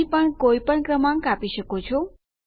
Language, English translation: Gujarati, We can have any number here